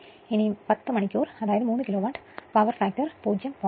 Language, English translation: Malayalam, So, for 10 hour, it was 3 Kilowatt, power factor 0